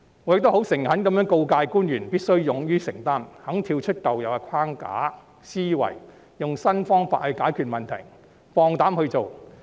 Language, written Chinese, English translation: Cantonese, 我亦誠懇地告誡官員必須勇於承擔，願意跳出舊有框架和思維，用新方法解決問題，放膽去做。, I sincerely advise officials to be bold to make commitments be ready to step out of the existing framework and mindset be innovative to resolve problems and be daring to take action